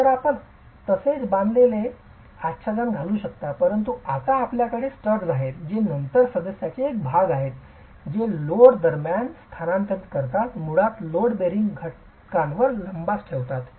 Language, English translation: Marathi, So you can have a similar tied veneering but you have studs now which are then part of the member that transfers load between, basically holds the veneer onto the load bearing element